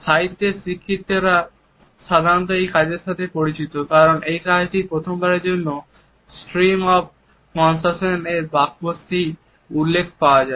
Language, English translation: Bengali, A students of literature in general are familiar with this work because it is this work which for the first time had also mentioned the phrase stream of consciousness